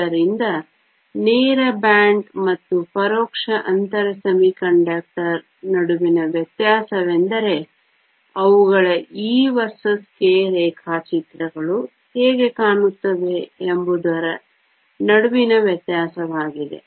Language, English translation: Kannada, So, the difference between a direct band and an indirect gap semiconductor is a difference between how their e versus k diagrams look